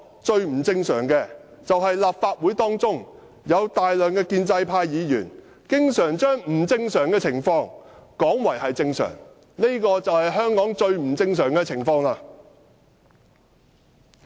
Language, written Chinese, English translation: Cantonese, 最不正常的是，立法會內有大量建制派議員經常把不正常的情況說成是正常，這便是最不正常的情況。, A large number of pro - establishment Members in the Legislative Council often refer to abnormal situations as normal and that is the most abnormal situation